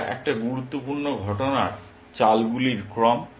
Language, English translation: Bengali, It is an important sequence of events moves